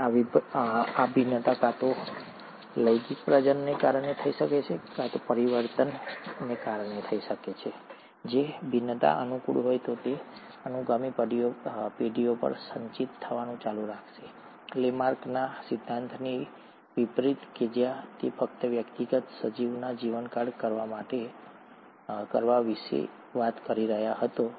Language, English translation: Gujarati, And these variations may either happen because of sexual reproduction, because of mutations and if the variations are favourable, it’ll keep on getting accumulated over successive generations, unlike Lamarck’s theory where he was only talking about doing the lifetime of a individual organism